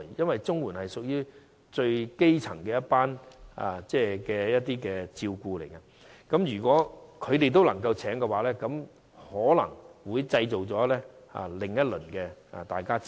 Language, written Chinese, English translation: Cantonese, 因為綜援屬於最基層的福利，如果這些長者也可聘請外傭的話，便可能會製造另一輪的爭拗。, Since CSSA is the lowest tier of social security if elderly recipients are allowed to employ foreign domestic helpers it may spark off another round of controversy